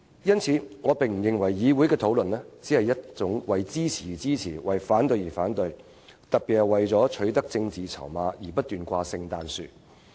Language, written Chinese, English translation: Cantonese, 所以，我不認為議會的討論只是一種為支持而支持、為反對而反對的討論，更不是為取得政治籌碼而不斷"掛聖誕樹"。, So I do not think the legislatures discussion is one where Members show support just for the sake of so doing or the other way round still less do I think that Members put forth various proposals with the intention of getting political chips